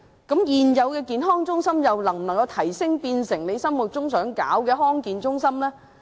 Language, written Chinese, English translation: Cantonese, 現有的社區健康中心又能否提升至政府想成立的地區康健中心呢？, Can the existing Community Health Centres be upgraded to the level of District Health Centres that the Government wants to set up?